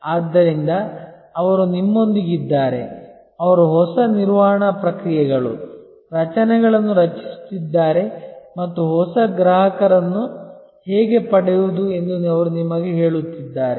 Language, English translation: Kannada, So, that they are with you, they are creating the new management processes, structures and they are telling you how to get new customers